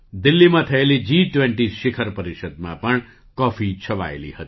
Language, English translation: Gujarati, The coffee was also a hit at the G 20 summit held in Delhi